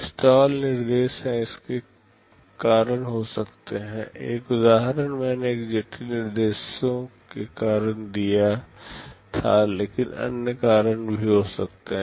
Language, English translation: Hindi, Stall instructions can occur due to this, one example I gave because of a complex instructions, but there can be other reasons